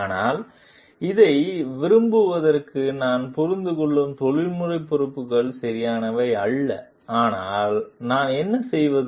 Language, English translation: Tamil, But the professional responsibilities I understand like this is not the correct, but what do I do